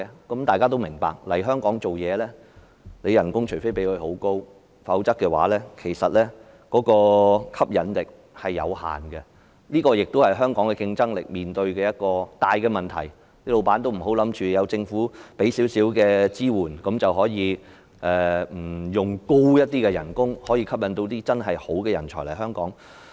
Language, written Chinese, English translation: Cantonese, 大家也明白，除非公司提供很高的薪酬，否則來港工作對專才的吸引力仍然有限，這也是香港競爭力面對的大問題，老闆不要以為政府提供少許支援，便用不着以較高的薪酬來吸引真正優秀的人才來港。, We all understand that unless a very high salary is offered working in Hong Kong offers little appeal to professional talents . This is a serious issue troubling Hong Kongs competitiveness . Business owners should not have the wrong impression that since the Government provides a bit of support it is no longer necessary for them to offer higher salaries in order to attract truly outstanding talents to Hong Kong